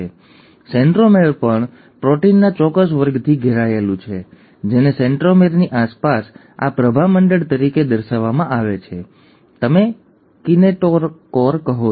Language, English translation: Gujarati, Now the centromere is also surrounded by a certain class of proteins, which is depicted as this halo around a centromere, which is what you call as the kinetochore